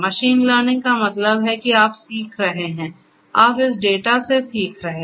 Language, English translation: Hindi, Machine learning means that you are learning, you are learning from this data